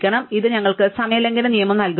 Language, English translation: Malayalam, So, this gives us a time breaking rule